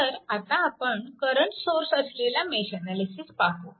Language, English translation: Marathi, So, now, we will analysis mesh analysis with current sources